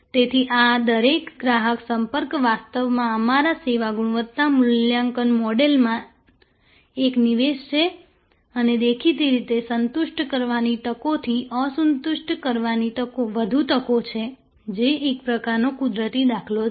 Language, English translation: Gujarati, So, this each customer contact is actually an input into our service quality evaluation model and obviously, there are more opportunities to dissatisfy the opportunities to satisfy that is kind of a natural paradigm